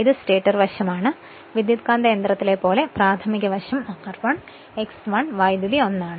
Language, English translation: Malayalam, This is stator side and as in your transformer primary side r 1, X 1 current is I 1